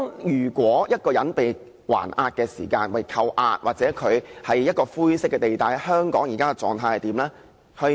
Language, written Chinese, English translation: Cantonese, 如果一個人被扣押，又或他處於灰色地帶，香港現時的做法是怎樣呢？, At present what will Hong Kong do to help a person under detention or caught in grey areas?